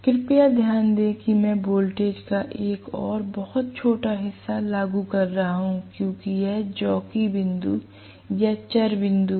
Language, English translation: Hindi, Please note I am applying a very small portion of the voltage because, this is the jockey point or the variable point